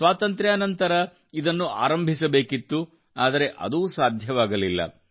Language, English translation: Kannada, It should have been started after independence, but that too could not happen